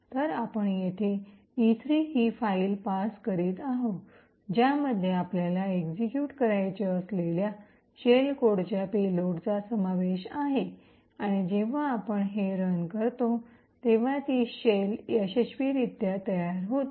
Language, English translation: Marathi, So, what we are passing here is the file E3 which comprises of the payload comprising of the shell code that we want to execute and when we run this what we see is that it successfully creates a shell